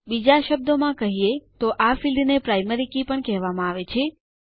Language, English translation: Gujarati, In other words this field is also called the Primary Key